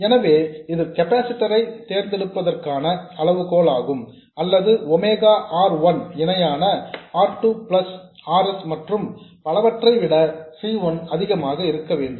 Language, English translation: Tamil, So, this is the criterion for choosing the capacitor or C1 must be much greater than 1 by omega R1 parallel R2 plus RS and so on